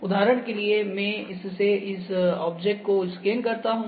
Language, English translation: Hindi, And for instance I will like to just scan this object